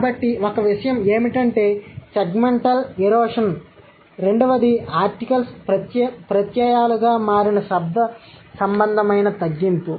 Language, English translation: Telugu, So, one thing is that segment erosion from that to the one to and the second one is the phonological reduction where the articles have become suffixes